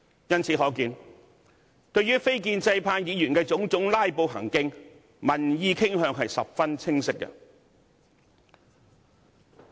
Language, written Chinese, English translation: Cantonese, 由此可見，對於非建制派議員種種"拉布"行徑，民意傾向十分清晰。, It can thus be seen that public attitude towards the filibustering acts of non - establishment Members is very clear